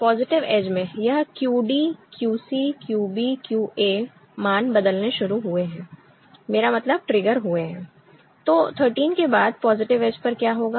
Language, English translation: Hindi, In the positive edges, it is QD QC QB QA, the values start changing right I mean, get triggered